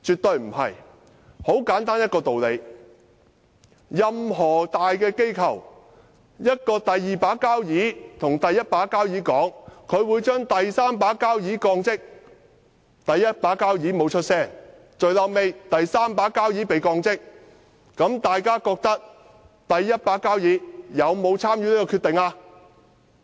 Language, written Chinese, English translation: Cantonese, 道理很簡單，任何大機構的"第二把交椅"如果對"第一把交椅"說，他會把"第三把交椅"降職，但"第一把交椅"不作聲，最終"第三把交椅"真的被降職，大家認為"第一把交椅"有沒有參與這項決定？, The reason is very simple . If the second highest ranking person in any large organization told the highest ranking person that he would demote the third highest ranking person; the highest ranking person made no comments and finally the third highest ranking person was demoted would you think that the highest ranking person had not been involved in making the decision?